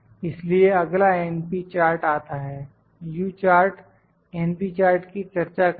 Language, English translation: Hindi, So, next comes np chart, the U chart will discuss the np chart